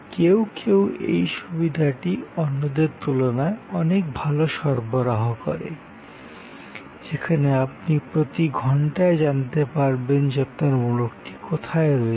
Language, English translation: Bengali, Some provide this facility much better than others, where you can know almost hour by hour where your package is